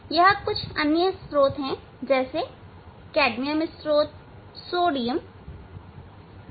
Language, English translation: Hindi, There is other source like cadmium source, sodium